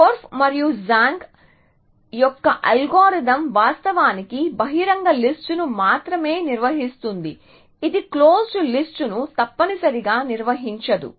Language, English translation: Telugu, So, Korf and Zhang’s algorithm actually maintains only the open list it does not maintain the close list at all essentially